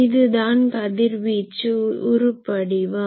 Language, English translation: Tamil, This is called radiation pattern